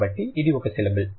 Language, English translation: Telugu, So, it's a syllable